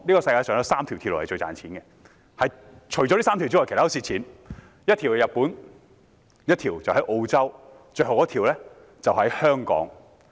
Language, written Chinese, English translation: Cantonese, 在這3條鐵路中，一條在日本，一條在澳洲，最後一條在香港。, Of these three railways one is in Japan one in Australia and the last one in Hong Kong